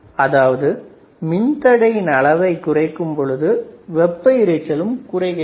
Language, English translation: Tamil, And lowering the resistance values also reduces the thermal noise